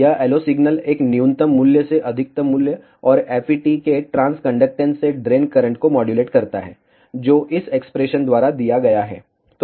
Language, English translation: Hindi, This LO signal modulates the drain current from a minimum value to a maximum value, and transconductance of the FET, which is given by ah this expression